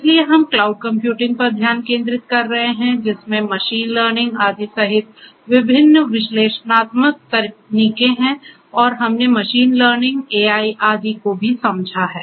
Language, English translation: Hindi, So, we are focusing on cloud computing different different you know analytic techniques including machine learning etcetera and also we have understood machine learning AI etcetera we have understood